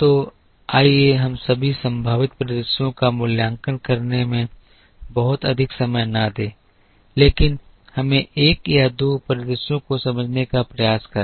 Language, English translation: Hindi, So, let us not spend too much time evaluating all possible scenarios, but let us try understand one or two scenarios